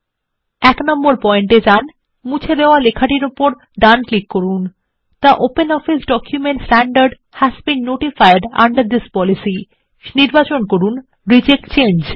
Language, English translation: Bengali, Go to point 1 and right click on the deleted text The OpenOffice document standard has been notified under this policy and select Reject change